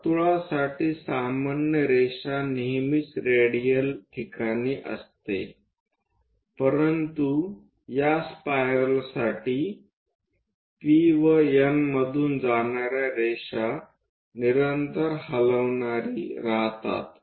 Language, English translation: Marathi, To the circle, the normal is always in the radial location, but for this spiral which is continuously moving the line which pass through P and N will be normal